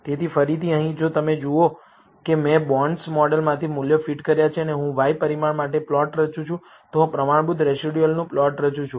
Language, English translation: Gujarati, So, again here, if you see I have fitted values from the bonds model and I am plotting for the y parameter, I am plotting the standardized residuals